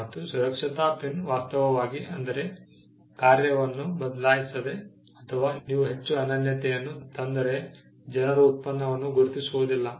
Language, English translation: Kannada, Safety pin without actually changing its function or if you make bring too much uniqueness people may not even identify the product